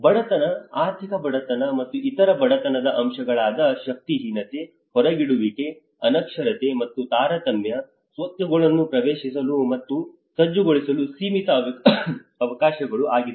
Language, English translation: Kannada, Poverty, economic poverty and other poverty factors such as powerlessness, exclusion, illiteracy and discrimination, limited opportunities to access and mobilise assets